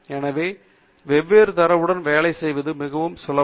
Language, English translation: Tamil, So, that it is very easy to work with different data